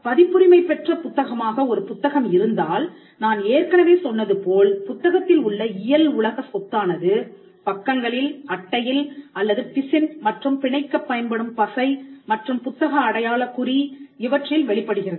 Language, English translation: Tamil, If there is a book which is copyrighted book, the physical property in the book as I said manifests in the pages, in the ink, in the cover, in the gum or the glue adhesive that is used to bind it and in the bookmark of the book has one